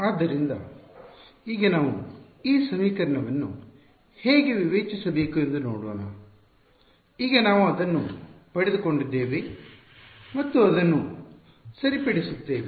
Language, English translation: Kannada, So, now we will look at how to discretize this equation, now that we have got it and solve it ok